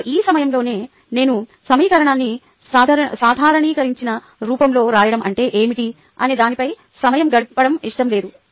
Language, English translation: Telugu, now, at this point, i do not i want to spend time on what is the meaning of writing an equation normalized form